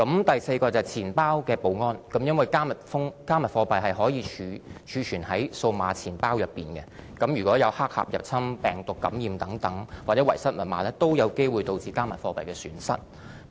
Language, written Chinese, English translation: Cantonese, 第四，是錢包的保安，因為"加密貨幣"可以儲存於數碼錢包，如果有黑客入侵、病毒感染或遺失密碼等，均有機會導致加密數碼貨幣的損失。, Fourth it is wallet security . Cryptocurrencies can be stored in digital wallets which can be prone to losses arising out of hacking virus infection loss of passwords etc . The fifth category of risk concerns the highly volatile and speculative nature of cryptocurrencies